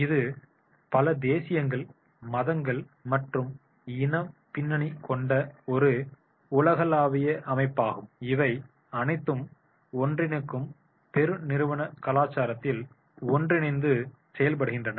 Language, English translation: Tamil, It is a fact it is a global organization comprised of many nationalities, religion and ethnic backgrounds all working together in one single unifying corporate culture